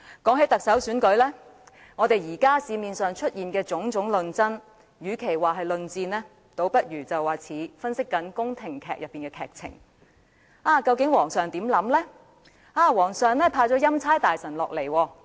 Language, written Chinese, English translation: Cantonese, 談到特首選舉，社會上出現的種種討論，與其說是論戰，倒不如形容為好像宮廷劇的劇情分析：究竟皇上的想法是甚麼？, When it comes to the Chief Executive Election instead of describing the various discussions in society as debates I would rather refer to them as plot analysis of palace - based dramas What is actually on the mind of the King?